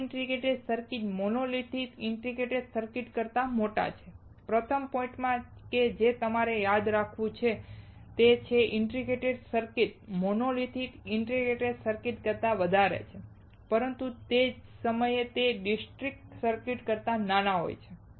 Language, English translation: Gujarati, These integrated circuits are larger than monolithic integrated circuits; first point that you have to remember is these integrated circuits are larger than monolithic integrated circuits, but at the same time they are smaller than the discrete circuits